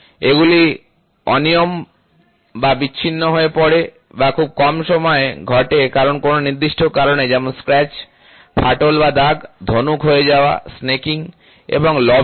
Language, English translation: Bengali, They are irregularities that occur in isolation or infrequently because, of a specific cause such as a scratch crack or a blemishes including bow, snaking and lobbing